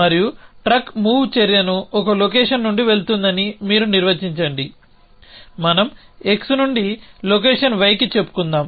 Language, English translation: Telugu, And you define move truck action which says the truck goes from location let us say x to location y